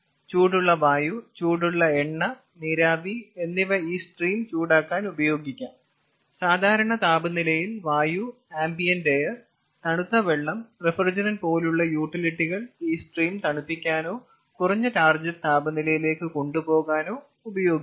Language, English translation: Malayalam, utilities like hot air, hot oil, steam can be used for heating this stream, and utilities like air at normal temperature, ah, ambient air, water, chilled water, refrigerant that can be used for cooling this stream or going to a low target temperature